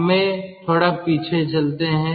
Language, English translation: Hindi, let us go back little bit